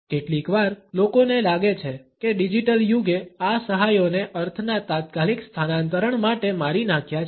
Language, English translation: Gujarati, Sometimes, people feel that the digital age has killed these aids to the immediate transference of meaning